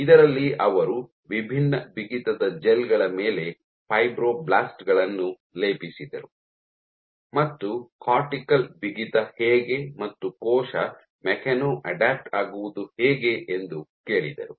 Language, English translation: Kannada, So, in which he plated fibroblasts on gels of varying stiffness and asked, how does cortical stiffness how do the cell mechano adapt